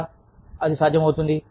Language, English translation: Telugu, How can, that be possible